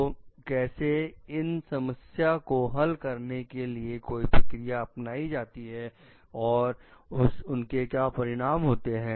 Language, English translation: Hindi, So, how the procedure was taken to solve it and the outcome